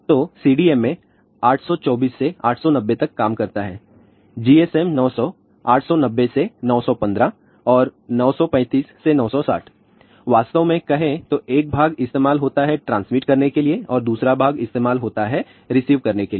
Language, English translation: Hindi, So, CDMA works from 824 to 890 GSM 900; 890 to 915 and 935 to 960, actually speaking; one part is used for transmit and another part is used for receive